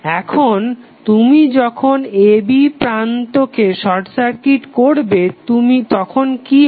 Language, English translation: Bengali, Now, when you will when you short circuit the terminal a, b what will happen